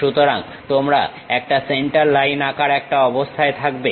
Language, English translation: Bengali, So, you will be in a position to draw a center line